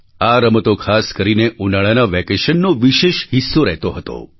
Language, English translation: Gujarati, These games used to be a special feature of summer holidays